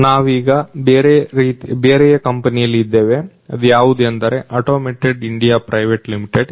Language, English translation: Kannada, So, right now we are in another company which is the Atomic India Private Limited